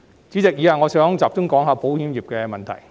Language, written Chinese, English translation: Cantonese, 主席，以下我想集中講述保險業的問題。, President up next I would like to focus my speech on issues relating to the insurance industry